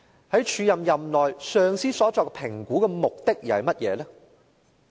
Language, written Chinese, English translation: Cantonese, 在署任任內，上司所作評估的目的又是甚麼呢？, What was the purpose of the assessment made on her performance during the acting appointment?